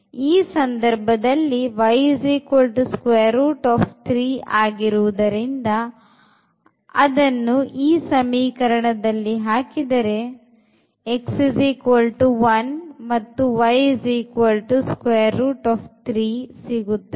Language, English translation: Kannada, And in this case since y is equal to square root 3 x if we put there, we will well get x as 1 and y as a square root 3